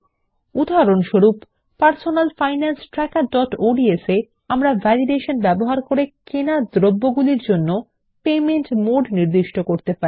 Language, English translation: Bengali, For example, in Personal Finance Tracker.ods, we can specify the mode of payment for the items bought using Validation